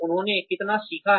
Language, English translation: Hindi, How much have they learned